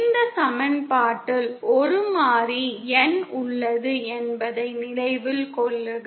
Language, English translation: Tamil, And note there is a variable N in this equation